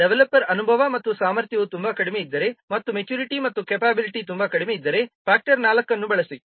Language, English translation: Kannada, That means if developer the experience and capability is very low and maturity is very low, use a factor of 4